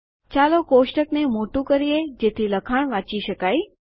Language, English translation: Gujarati, Lets elongate the table so that the text is readable